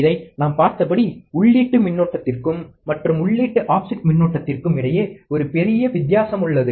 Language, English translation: Tamil, As we have seen this, that there is a big difference between the input currents and is the input offset current